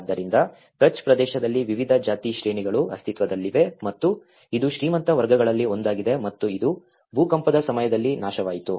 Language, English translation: Kannada, So, different caste hierarchies existed in the Kutch area and this is one of the rich class and which has been destructed during the earthquake